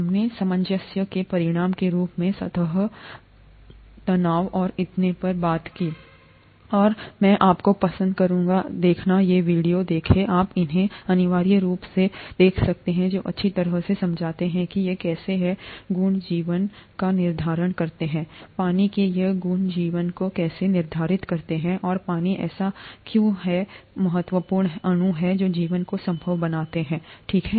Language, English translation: Hindi, We talked of surface tension and so on as an outcome of cohesion, and I would like you to watch these two videos, you can take these as compulsory, which explain nicely how these properties determine life, how these properties of water determine life and why water is such an important molecule which makes life possible, okay